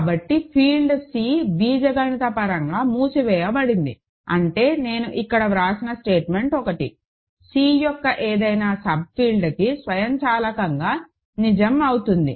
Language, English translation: Telugu, So, the field C is algebraically closed; that means, the statement one, that I wrote here is automatically true for any subfield of C